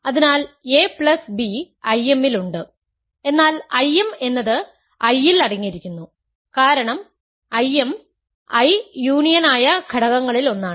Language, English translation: Malayalam, So, a plus b is in I m, but I m is contained in I because I m is one of the factors whose union is I